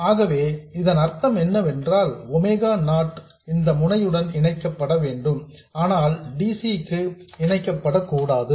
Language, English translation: Tamil, This node here has to be connected to this node for omega 0, but it should not be connected for DC